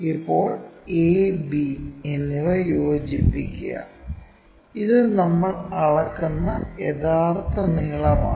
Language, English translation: Malayalam, Now, join a and b, this is true length we will measure it